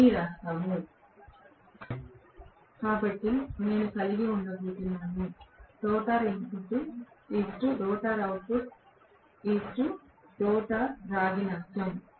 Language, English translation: Telugu, So, I am going to have the rotor input is to rotor output, is to rotor copper loss